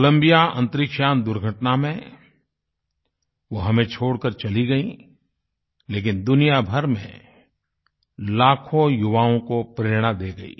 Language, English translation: Hindi, She left us in the Columbia space shuttle mishap, but not without becoming a source of inspiration for millions of young people the world over"